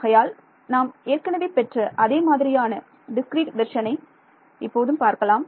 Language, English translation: Tamil, So, let us I mean the same discrete version right which we had